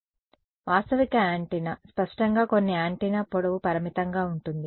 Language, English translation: Telugu, So, realistic antenna is; obviously, some an antenna where the length is finite ok